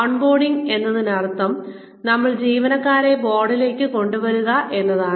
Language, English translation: Malayalam, On boarding means, you bring the employees on board